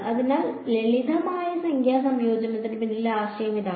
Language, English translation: Malayalam, So, that is the idea behind simple numerical integration